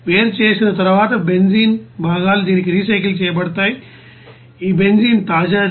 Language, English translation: Telugu, And after separation the benzene components will be you know recycle to this, you know fresh this benzene